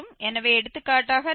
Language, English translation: Tamil, So, for instance if we take 0